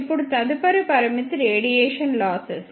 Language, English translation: Telugu, Now, next limitation is radiation losses